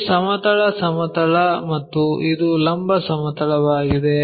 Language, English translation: Kannada, This is the horizontal plane and this is the vertical plane